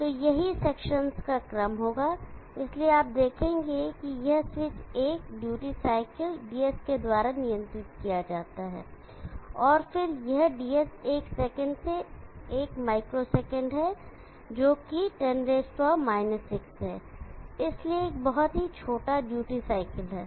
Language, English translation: Hindi, So this will be the order of sections, so you will see that this switch is controlled by a duty cycle DS and then this DS, is one micro second by one second which is 10 6, so it is a very very small duty cycle